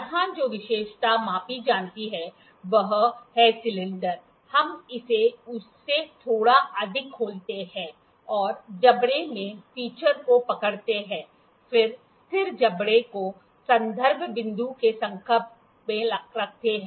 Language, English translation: Hindi, Here the feature that is to be measured is the cylinder, we open it little more than that and hold the feature in the jaws, then, place the fixed jaw in contact with the reference point